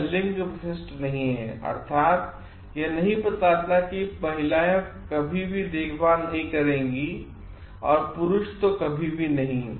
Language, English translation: Hindi, And it is not gender specific; meaning, it does not tell like women will never be caring and males are not